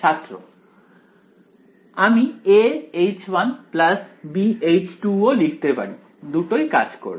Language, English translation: Bengali, I can also write a H 1 plus b H 2 both will work